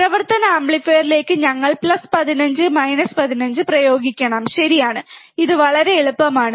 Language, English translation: Malayalam, We have to apply plus 15 minus 15 to operational amplifier, correct, this much is easy